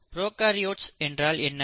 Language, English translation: Tamil, So, what are prokaryotes